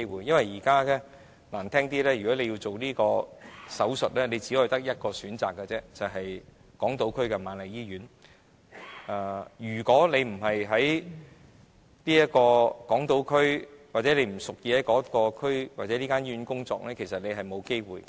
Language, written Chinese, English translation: Cantonese, 因為如果現在要進行這方面的手術，只有一個選擇，就是在港島區的瑪麗醫院進行；如果不是在港島區或該醫院工作的人，其實是沒有機會進行有關手術的。, It is because Queen Mary Hospital on the Hong Kong Island is the only option for carrying out this kind of surgeries . If a doctor is not working on the Hong Kong Island or in that hospital he will have no chance to participate in such surgeries